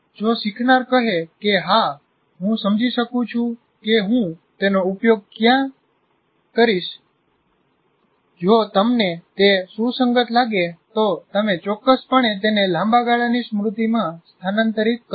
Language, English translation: Gujarati, So if the learner finds it, yes, I can see what is the, where I am going to use, you are going to, if you find it relevant, then you will certainly transfer it to the long term memory